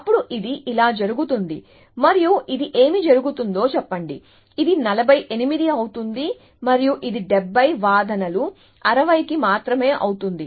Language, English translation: Telugu, Then it goes like this and let us says this is what is happening, let say this becomes 48 and this becomes 70 just for arguments 60